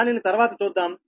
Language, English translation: Telugu, we will come later